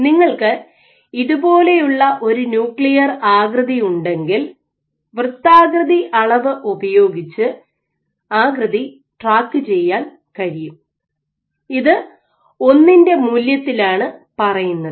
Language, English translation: Malayalam, So, if you have a nuclear shape like this you can track the shape by using a measure of circularity, which returns the value of 1